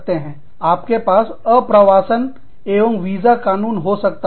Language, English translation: Hindi, We could have, laws for immigration and visas